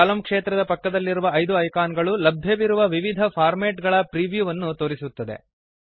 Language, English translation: Kannada, The five icons besides the column field show you the preview of the various formats available